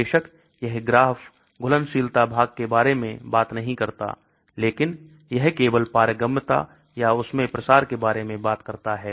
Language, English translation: Hindi, Of course this graph does not talk about solubility part but it talks only about the permeability or the diffusion into that